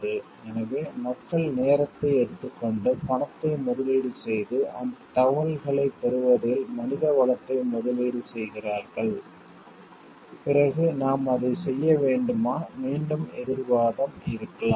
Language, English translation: Tamil, So, at people have taken time and invested money invested time invested manpower in like getting those information, then should we doing it and again the counter argument could be